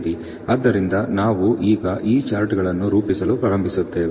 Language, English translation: Kannada, So, we now actually start plotting these charts